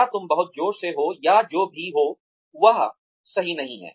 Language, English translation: Hindi, Or, you are too loud, or whatever, that is not right